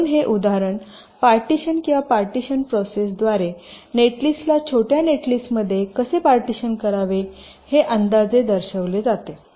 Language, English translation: Marathi, so this example shows roughly how a partition or the partitioning process should split a netlist into a smaller netlist